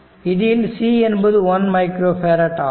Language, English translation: Tamil, C is equal to 1 micro farad